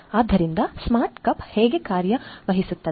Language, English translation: Kannada, So, how the smart cup works